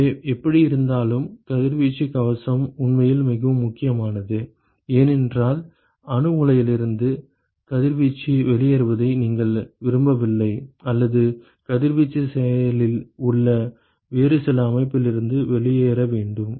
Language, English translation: Tamil, So, anyway the radiation shield is actually very important because, you do not want radiation to be to leak out from a nuclear reactor or, some other system where radiation is active